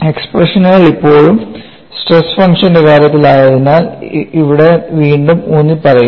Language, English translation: Malayalam, Since the expressions are still in terms of the stress function also make a sketch